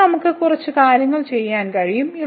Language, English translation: Malayalam, So now, here we can do little bit manipulations